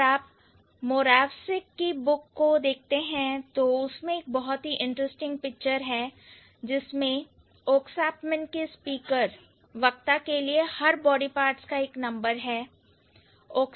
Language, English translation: Hindi, So, if you check Morapsic's book, there is an interesting picture where Oksapmin, the speakers, for each of the body parts they have a number